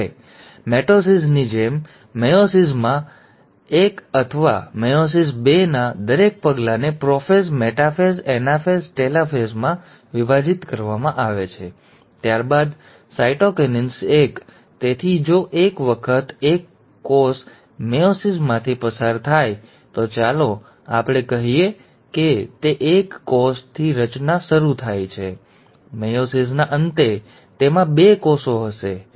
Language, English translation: Gujarati, Now, similar to mitosis, in meiosis, each step of meiosis one, or meiosis two is divided into prophase, metaphase, anaphase, telophase, followed by cytokinesis one; so if once the cell undergoes meiosis one, let us say it starts with one cell; at the end of meiosis one, it will have two cells, alright